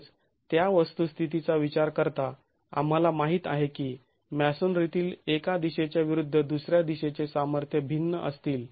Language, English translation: Marathi, Also considering the fact that we know that strengths in one direction versus the other direction is going to be different in masonry